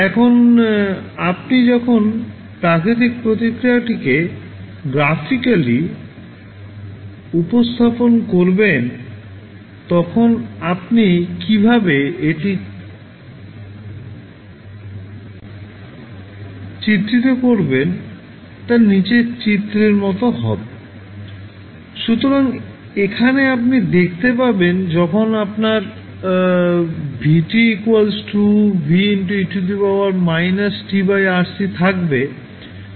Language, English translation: Bengali, Now, how you will represent it graphically when you represent the natural response graphically it will be, like as shown in the figure, below, so here you will see when you have the component vt is equal to V Naught e to the power minus t by RC